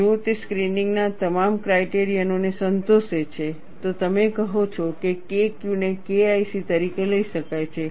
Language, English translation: Gujarati, If it satisfies all the screening criteria, then you say K Q can be taken as K1C